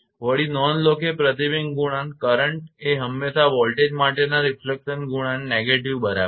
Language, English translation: Gujarati, Furthermore, note that the reflection coefficient current is always the negative of the refection coefficient for voltage right